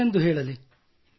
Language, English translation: Kannada, Do tell them